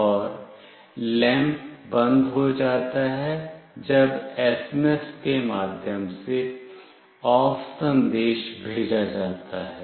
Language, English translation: Hindi, And the lamp is turned off, when the message “OFF” is sent through SMS